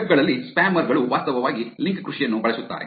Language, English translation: Kannada, In the webs, spammers actually use link farming